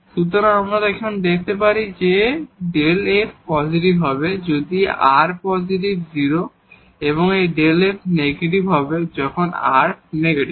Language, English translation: Bengali, So, what do we get now that this delta f is positive if r is positive 0 and this delta f is negative when r is negative